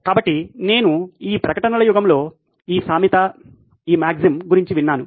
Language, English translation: Telugu, So I have heard of this ad age, this saying, this maxim